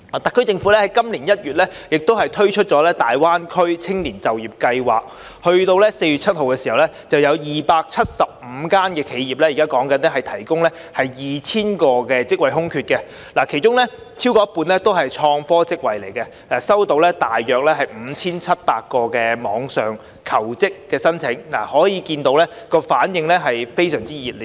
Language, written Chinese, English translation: Cantonese, 特區政府在今年1月推出大灣區青年就業計劃，截至4月7日已有275間企業提供 2,000 個職位空缺，其中超過一半是創科職位，收到大約 5,700 個網上求職申請，可見反應是非常熱烈的。, In January this year the SAR Government launched the Greater Bay Area Youth Employment Scheme the Scheme . As at 7 April 275 enterprises have provided 2 000 vacancies with over half being innovation and technology - related positions . About 5 700 online applications were received